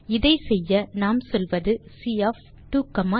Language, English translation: Tamil, To do this, we say, C of 2,3